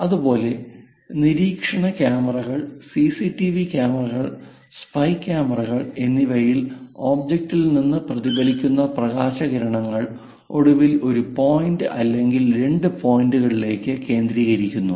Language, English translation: Malayalam, Similarly, in surveillance like cams, CCTV cams, spy cams; the light rays are perhaps from the object the reflected rays comes, finally focused it either one point or two points